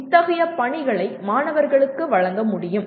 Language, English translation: Tamil, Such assignments can be given to the students